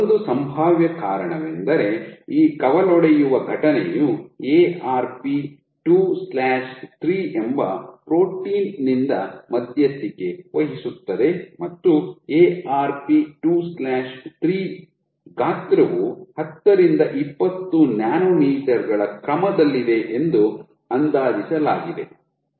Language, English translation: Kannada, One possible reason is this branching event is mediated by a protein called Arp 2/3 and the size of Arp 2/3 has been estimated to be all the other of 10 to 20 nanometers